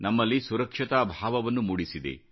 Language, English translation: Kannada, It has bestowed upon us a sense of security